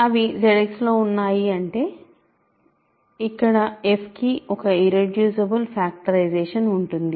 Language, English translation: Telugu, So, they are in Z X that means, here is an irreducible factorization here is a factorization of f